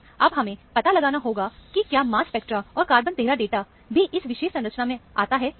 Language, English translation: Hindi, Now, we have to ascertain, whether the mass spectra and the carbon 13's data, also fit this particular structure